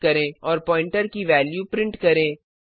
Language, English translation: Hindi, And print the value of the pointer